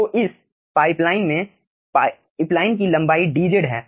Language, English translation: Hindi, the length of the pipeline is dz